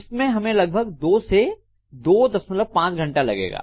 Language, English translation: Hindi, This will take anywhere between about 2 to 2